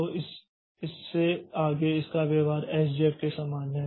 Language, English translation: Hindi, So, from this point onwards it is behavior is similar to SJF